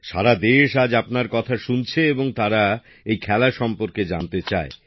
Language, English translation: Bengali, The whole country is listening to you today, and they want to know about this sport